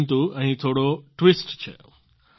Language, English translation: Gujarati, But here is a little twist